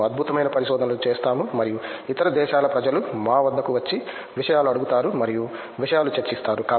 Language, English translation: Telugu, We do fantastic research and people from other country come up to us and ask things and discuss things